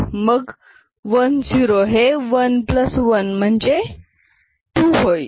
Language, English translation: Marathi, So, this 1 0 over here is 1 plus 1, which is 2